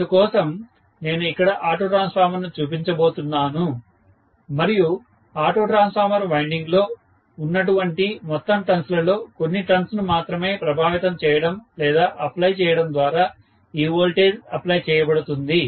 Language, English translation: Telugu, So, I am going to show the auto transformer here and this is applied by only influencing or applying the voltage with respect to only a fraction of the total turns available in the total auto transformer winding